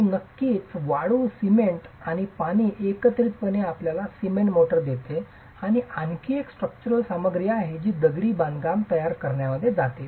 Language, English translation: Marathi, And of course, sand, cement and water together gives you the cement motor, which is another structural material that goes into composing masonry